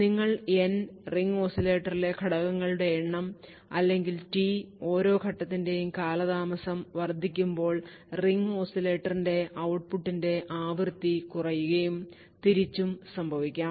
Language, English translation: Malayalam, As you increase n, the number of stages in the ring oscillator or t the delay of each stage, the frequency of the output of the ring oscillator would reduce and vice versa